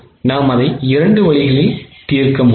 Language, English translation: Tamil, We could do it in two ways